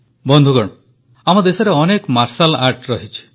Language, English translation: Odia, Our country has many forms of martial arts